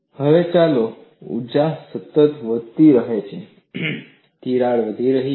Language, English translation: Gujarati, Now, let us look, as the energy keeps on increasing, the crack is growing